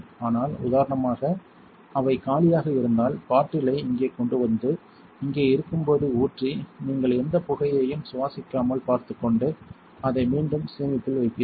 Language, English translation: Tamil, But if you were empty for instance you would bring the bottle over here pour it while in here and make sure you do not breathe any of the fumes and also put it back in storage